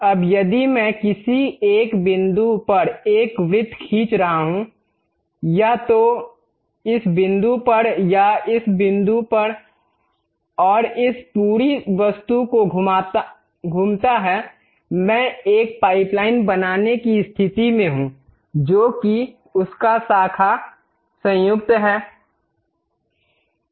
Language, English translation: Hindi, Now, if I am drawing a circle at one of the points, either at this point or at this point and revolve this entire object; I will be in a position to construct a pipeline, which is a branch joint